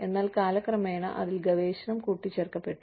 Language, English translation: Malayalam, Then, research was added to it